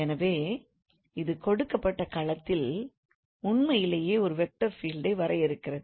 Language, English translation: Tamil, So this defines a vector field on the given domain actually